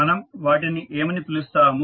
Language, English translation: Telugu, What we call them